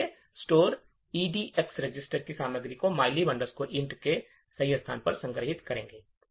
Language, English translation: Hindi, Therefore, the store instruction would store the contents of the EDX register to the correct location of mylib int